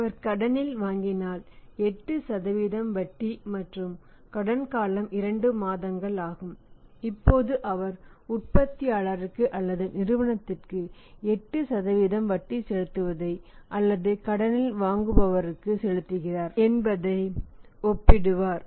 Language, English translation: Tamil, And if he buys on credit there is 8% interest and the credit period is 8% of the credit period is 2 months now he will compare that he is paying 8% interest to the manufacturer to the company or to the buyer buying on the credit